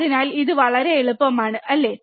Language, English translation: Malayalam, So, it is very easy, right